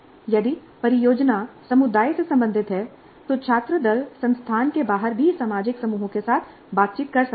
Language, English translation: Hindi, If the project is related to the community, the student teams may be interacting with social groups outside the institute as well